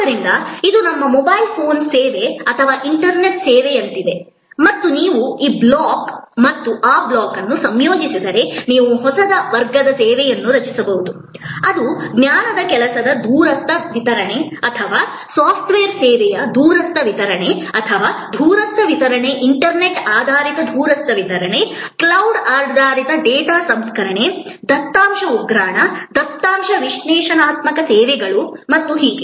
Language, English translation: Kannada, So, therefore, this is like our mobile phone service or internet service and if you combine this block and this block, you can create a new class of service which is remote delivery of a knowledge work or remote delivery of software service or remote delivery of internet based, cloud based data processing, data warehousing, data analytic services